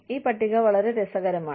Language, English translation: Malayalam, This table is very interesting